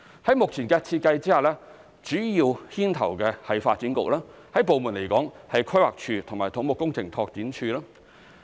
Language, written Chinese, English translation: Cantonese, 在目前的設計下，主要牽頭的為發展局，部門來說有規劃署及土木工程拓展署。, Under the current design the Development Bureau is the spearhead . Other departments involved include the Planning Department and the Civil Engineering and Development Department